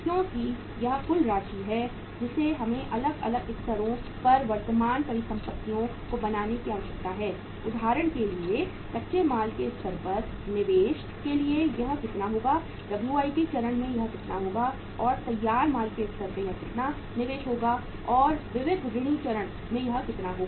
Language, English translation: Hindi, Because this is uh the total amount which we require to create the current assets at the different levels say for example investment at the raw material stage will be this much, at the WIP stage will be this much and then the investment at finished goods stage will be this much and the sundry debtor stage will be this much